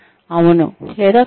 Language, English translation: Telugu, Yes or no